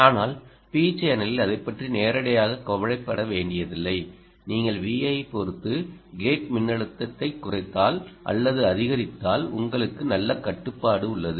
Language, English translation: Tamil, th channel you don't have to worry about that ah directly if you lower or increase the gate voltage with respect to v in, you have a good control